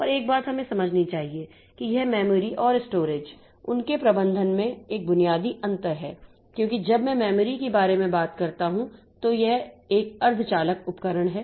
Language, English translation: Hindi, And one thing we must understand that this memory and storage, there is a basic difference in their management because when I talk about memory, so this is a semiconductor device